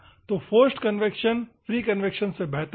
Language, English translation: Hindi, So, forced convection is better than free convection